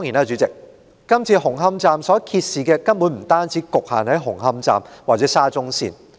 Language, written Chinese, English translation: Cantonese, 主席，這次紅磡站所揭示的問題，根本不只局限於紅磡站或沙中線。, President the problems exposed in Hung Hum Station are not confined to Hung Hum Station or SCL